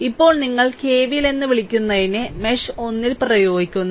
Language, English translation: Malayalam, Now, you apply your what you call that KVL in mesh one